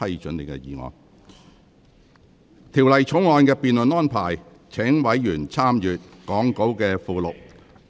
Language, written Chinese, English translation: Cantonese, 就《條例草案》的辯論安排，委員可參閱講稿附錄。, Members may refer to the Appendix to the Script for the debate arrangement for the Bill